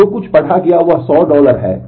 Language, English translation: Hindi, So, whatever was read there is 100 dollar